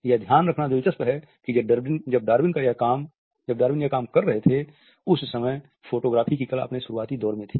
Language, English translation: Hindi, It is interesting to note that the art of photography was in its nascent face at the time when Darwin was working